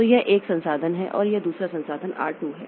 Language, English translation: Hindi, So, it is holding resource 1 and it is asking for resource 2